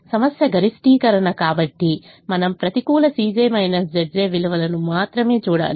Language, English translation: Telugu, problem is a maximization, so we have to look at only the negative c